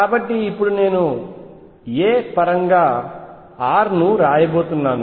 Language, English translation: Telugu, So now I am going to write r in terms of this a